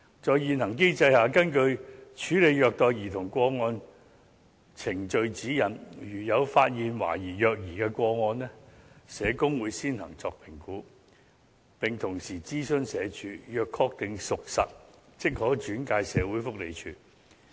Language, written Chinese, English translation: Cantonese, 在現行機制下，根據《處理虐待兒童個案程序指引》，如有發現懷疑虐兒個案，社工會先作評估，並同時諮詢社署，若確定屬實，即可轉介社署。, This shows that the existing voluntary reporting mechanism is ineffective . Under the existing mechanism and according to the Procedural Guide For Handling Child Abuse Cases social workers will first assess a suspected child abuse case and consult SWD before referring the case to SWD upon confirmation